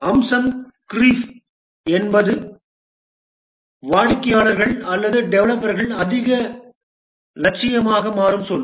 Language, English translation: Tamil, Feature creep is the world where the customers or the developers become more ambitious